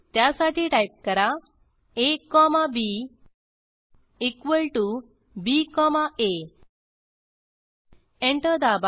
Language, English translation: Marathi, To do so type a comma b equal to b comma a Press Enter